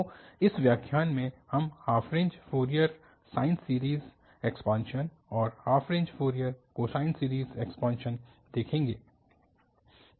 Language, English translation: Hindi, So, in this lecture, we will see the half range Fourier sine series expansion and also the half range Fourier cosine series expansion